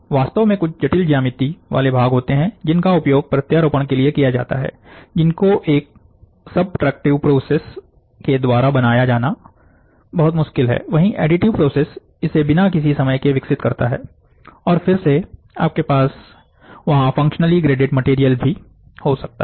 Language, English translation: Hindi, In fact, there are certain complex geometries which are used, complex geometry parts which are used as your implants, which is too difficult for you to generate to subtract 2 process, but the additive process develops it within no time, and again you can also have functionally graded material there